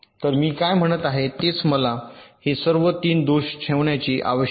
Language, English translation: Marathi, so what i am saying is that do i need to keep all this three faults